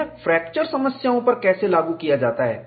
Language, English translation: Hindi, How this is applied to fracture problems